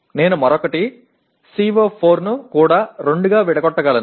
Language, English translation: Telugu, I can also break the other one CO4 into two